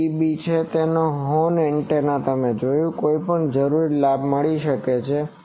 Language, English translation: Gujarati, 1 dB or horn antenna you have seen that any required gain can be found